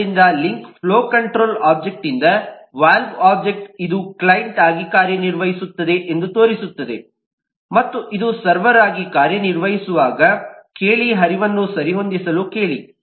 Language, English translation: Kannada, so the link from the flow control object to the valve object shows that this can work as a client and ask, while this works as a server, ask it to adjust the flow in a different way